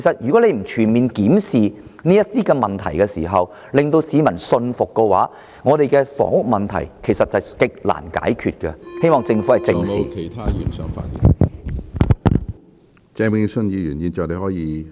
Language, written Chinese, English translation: Cantonese, 如政府不全面檢視這些問題時，讓市民信服的話，那麼我們的房屋問題是極難解決的，我希望政府正視這些問題。, If the Government fails to fully review these problems to convince the public then there is only a slim chance that our housing problem could be resolved . I hope that the Government will face these problems squarely